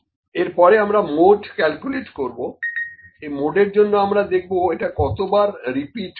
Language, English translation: Bengali, So, next we will calculate the mode, for this for mode let me see, how many times are these was repeated